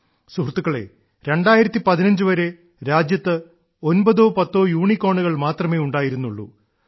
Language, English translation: Malayalam, till the year 2015, there used to be hardly nine or ten Unicorns in the country